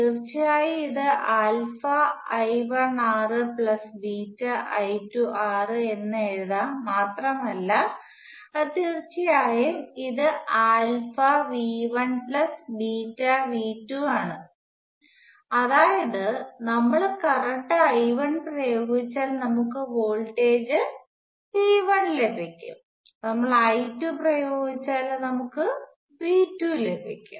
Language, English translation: Malayalam, which of course, can be written as alpha times I 1 r plus beta times I 2 R which of course is alpha times V 1 plus beta times V 2 that is if we applied a current I 1 we would could have voltage V 1, we applied I 2, we would got V 2